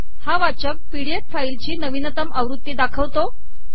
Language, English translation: Marathi, This browser shows the latest version of the pdf file